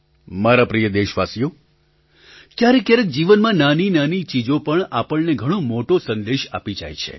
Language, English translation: Gujarati, My dear countrymen, there are times when mundane things in life enrich us with a great message